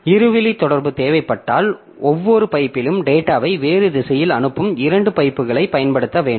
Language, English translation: Tamil, If two way communication is required, two pipes must be used with each pipe sending data in a different direction